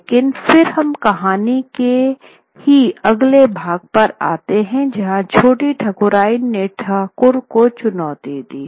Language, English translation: Hindi, But then we come to the next part of the story where the Choti Thakurian throws this challenge to the Thakur